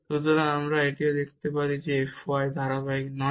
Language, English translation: Bengali, So, we can show also that f y is not continuous